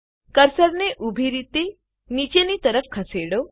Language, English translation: Gujarati, Move the cursor vertically downwards